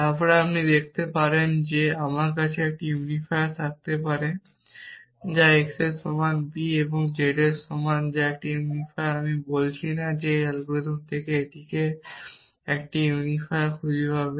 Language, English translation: Bengali, Then you can see that I can have one unifier which is x is equal to b and z equal to a that is a unifier I am not saying that this algorithm will find this that a unifier